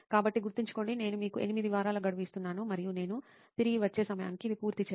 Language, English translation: Telugu, So remember, I am giving you an 8 week deadline and it better be done, by the time I get back